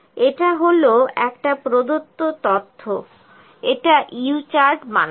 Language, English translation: Bengali, This is a given data make a U chart